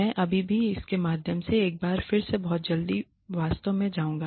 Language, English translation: Hindi, I will still go through it once again very very quickly actually